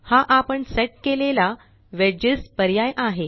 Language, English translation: Marathi, This is the Wedges option that we set